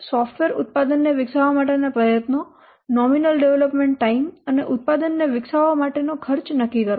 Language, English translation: Gujarati, Determine the effort required to develop the software product, the nominal development time and the cost to develop the product